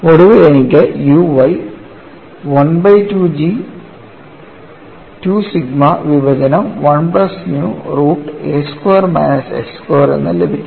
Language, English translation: Malayalam, So I have the expression like this; I have u y finally turns out to be 1 by 2 G 2 sigma divided by 1 plus nu root of a square minus x square